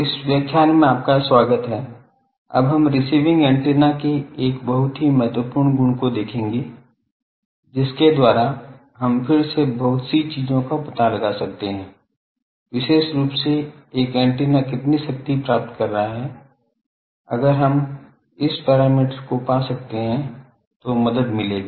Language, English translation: Hindi, Welcome to this lecture, now we will see a very important property of an antenna of a receiving antenna, by which again we can find out lot of things particularly how much power an antenna is receiving, that will be help if we can find this parameter